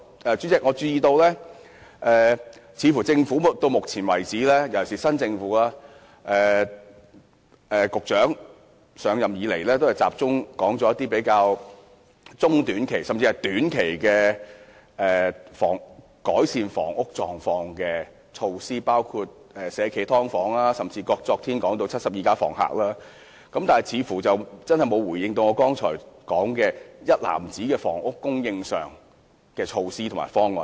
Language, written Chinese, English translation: Cantonese, 主席，我注意到新政府的局長上任以來，都集中談中短期的改善房屋問題的措施，包括引入"社企劏房"，昨天又談到"七十二家房客"，沒有提及我剛才提到的房屋供應上的一籃子措施和方案。, President as I have noted the Secretary of the new Government has since his assumption of office focused on talking about short and medium - term measures to alleviate the housing problem including the introduction of subdivided units operated by social enterprises . He talked about a film The House of 72 Tenants yesterday but he did not make any reference to the basket of measures and plans referred to by me just now